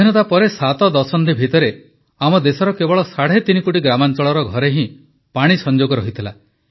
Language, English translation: Odia, In the 7 decades after independence, only three and a half crore rural homes of our country had water connections